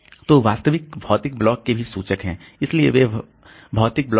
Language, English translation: Hindi, So, they are also indices to actual physical block